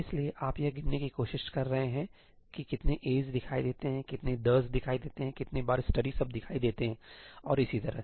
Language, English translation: Hindi, So, you are trying to count how many ëaís appear, how many ëtheís appear, how many times the word ëstudyí appears and so on